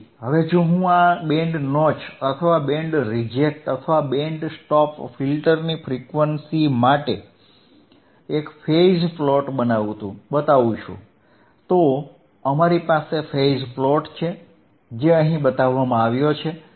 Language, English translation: Gujarati, Then I will see here if you if you want to have a phase plot for frequency forof this band notch filter or band reject filter or band stop filter, then we have phase plot which is shown here in here right